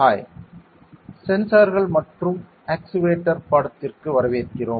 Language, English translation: Tamil, Hi, welcome to the Sensors and Actuator course